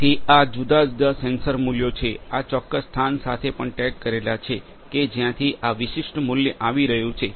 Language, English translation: Gujarati, So, this the different sensor values these are also tagged with the specific location from where this particular value is coming